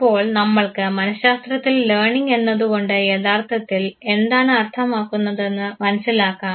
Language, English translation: Malayalam, So, let us understand what actually we mean by learning in psychology